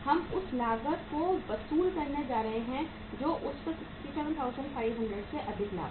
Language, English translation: Hindi, We are going to recover the cost that is 67,500 plus profit on that